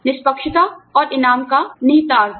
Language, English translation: Hindi, Implication of fairness and reward